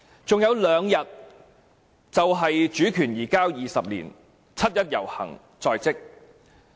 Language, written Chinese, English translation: Cantonese, 還有兩天便是主權移交20年，七一遊行在即。, With two more days to go it will be the 20 anniversary of the transfer of sovereignty and the 1 July march will be held